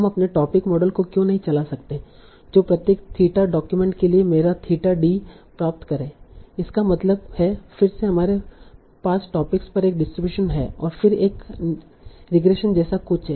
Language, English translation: Hindi, Why can't we run our topic model get my theta for each document, theta d, that will again be a distribution over topics and then run something like a regression